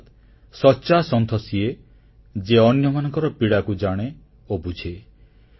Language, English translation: Odia, The true saint is the one who recognizes & understands the sufferings of others